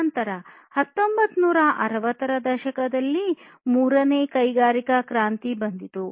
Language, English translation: Kannada, Then came the third industrial revolution that was in the 1960s and so on